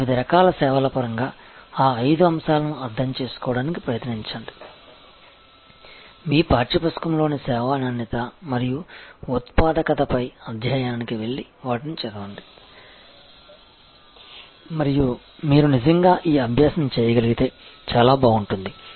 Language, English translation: Telugu, Try to understand those five factors in terms of the different types of services, go to the chapter on service quality and productivity in your text book and read those and it will be great if you can actually do this exercise